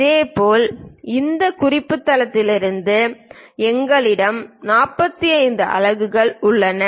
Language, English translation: Tamil, Similarly, from this reference base we have it 45 units